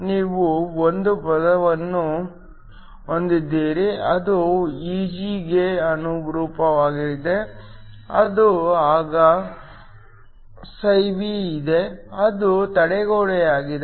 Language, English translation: Kannada, You have 1 term that corresponds to Eg then, there is φB which is the barrier